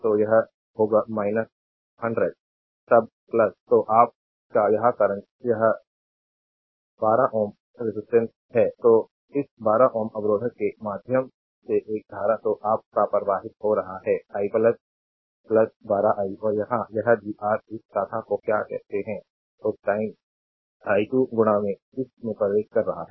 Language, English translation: Hindi, So, it will be minus 100, then plus your this current is this 12 ohm resistance, that a current is your flowing through this 12 ohm resistor is i so, plus 12 i, right